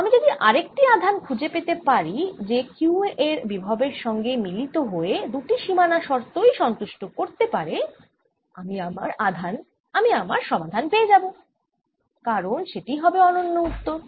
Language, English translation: Bengali, if i can find another charge that satisfies that combine with this potential of q, satisfies both the boundary conditions, then i have found my solution because that's a unique answer